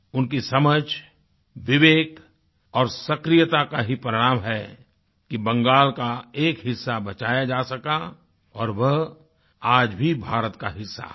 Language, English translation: Hindi, It was the result of his understanding, prudence and activism that a part of Bengal could be saved and it is still a part of India